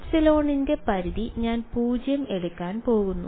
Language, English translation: Malayalam, I am going to take the limit epsilon tending to 0